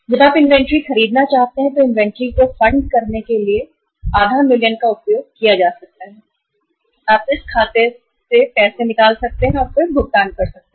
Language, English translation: Hindi, Half a million can be used for funding the inventory as and when you want to buy the inventory you can withdraw money from this account and then you can make the payment